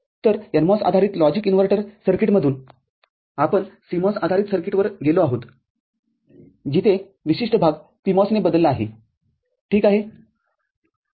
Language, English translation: Marathi, So, from a NMOS based logic inverter circuit, we have moved to CMOS base circuit where the particular part is replaced by a PMOS, ok